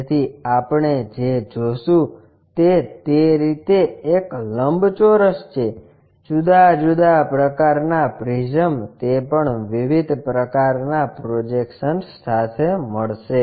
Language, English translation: Gujarati, So, what we will see is a rectangle in that way; different prisms different kind of projections